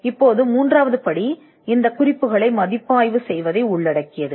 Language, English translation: Tamil, Now the third step involves reviewing these references